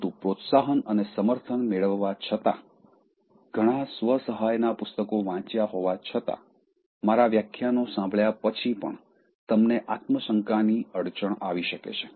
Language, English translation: Gujarati, But, at the same time, despite getting encouragement and support, despite reading lot of self help, books, despite listening to my lectures, you may get this small iota of self doubt